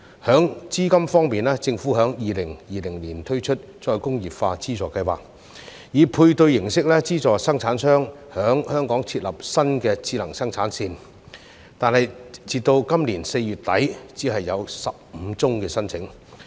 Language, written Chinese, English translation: Cantonese, 在資金方面，政府在2020年推出再工業化資助計劃，以配對形式資助生產商在香港設立新智能生產線，但截至今年4月底，只有15宗申請。, On capital the Government launched the Re - industrialisation Funding Scheme in 2020 which subsidizes manufacturers on a matching basis to set up new smart production lines in Hong Kong . However only 15 applications have been received up to end April this year